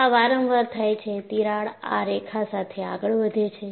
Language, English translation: Gujarati, So, this happens repeatedly, the crack advances along this line